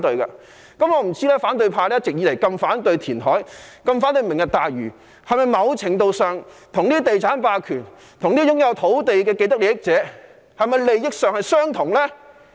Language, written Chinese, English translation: Cantonese, 我不知道反對派一直以來如此反對填海、如此反對"明日大嶼"，是否某程度上跟地產霸權、跟擁有土地的既得利益者有相同利益呢？, I wonder if the opposition camp which always object to reclamation and the Lantau Tomorrow project shares common interest with real estate hegemony and land owners having vested interests